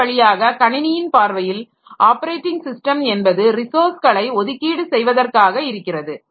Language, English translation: Tamil, So, in this way as from a system's perspective, an operating system is a resource allocator